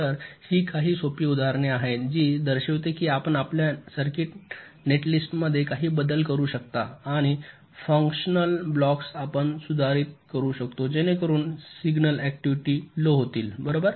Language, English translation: Marathi, so these are some simple examples which show that you can make some changes in your circuit, netlist and also some functional blocks you can modify so as to reduce the signal activities, right